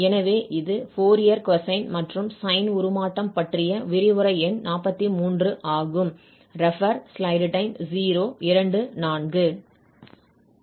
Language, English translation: Tamil, So this is lecture number 43 on Fourier Cosine and Sine Transform